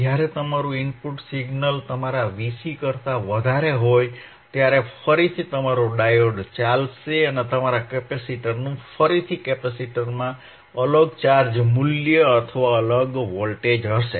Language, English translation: Gujarati, Wwhen your are input signal is greater than your V cVc, thaen again your diode will conduct and your capacitor will again have a different charge value, different charge value, or different voltage across the capacitor